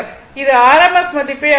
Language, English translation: Tamil, It will measure this called rms value